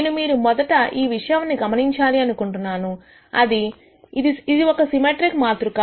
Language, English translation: Telugu, First thing that I want you to notice, that this is a symmetric matrix